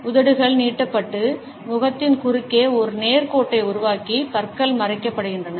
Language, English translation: Tamil, The lips are stretched that across the face to form a straight line and the teeth are concealed